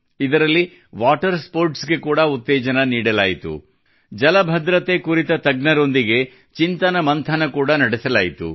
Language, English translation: Kannada, In that, water sports were also promoted and brainstorming was also done with experts on water security